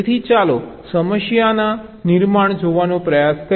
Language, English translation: Gujarati, so lets try to see the problem formulation